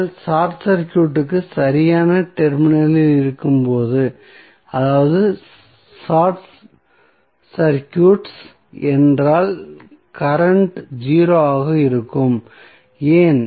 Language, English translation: Tamil, So, when you short circuit the right most terminal that is if you short circuits then current would be 0, why